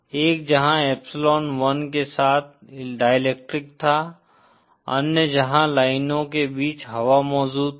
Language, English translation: Hindi, One where there was a dielectric material with epsilon 1, other where air was present between the lines